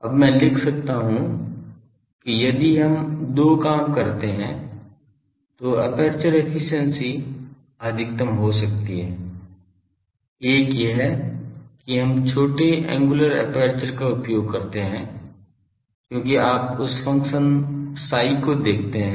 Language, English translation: Hindi, Now, I can write that aperture efficiency can be maximised if we do two things; one is that we use small angular aperture because you see that cot function psi